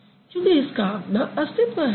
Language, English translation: Hindi, Because it can stand alone